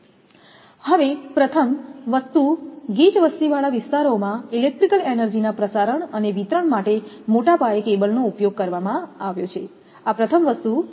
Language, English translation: Gujarati, So, first thing is in density populated areas large scale use of cable has been made for transmission and distribution of electrical energy, this is a first thing